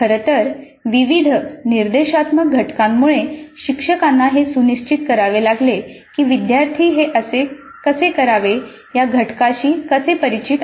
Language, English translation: Marathi, In fact with many of the instructional components the instructor may have to ensure that the students are familiar with that component